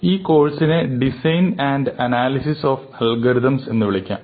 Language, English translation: Malayalam, So, this course is called design and analysis of algorithms